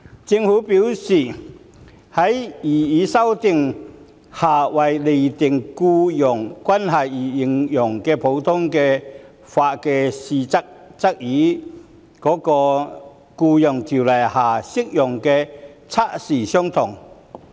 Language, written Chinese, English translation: Cantonese, 政府表示，在擬議修訂下為釐定僱傭關係而應用的普通法測試，與《僱傭條例》下適用的測試相同。, The Government has advised that the common law test applied for determining employment relationship under the proposed amendments would be the same as that applied under the Employment Ordinance